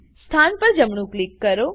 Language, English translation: Gujarati, Right click on the position